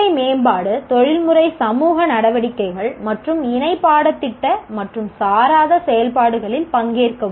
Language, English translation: Tamil, Participate in professional development, professional society activities and co curricular and extracurricular activities